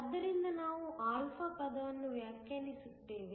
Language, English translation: Kannada, So, we define a term α